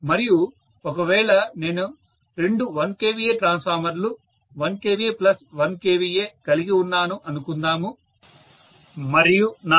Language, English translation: Telugu, And if I am having let us say two 1 kVA transformers 1 kVA plus 1 kVA and let say I have a 1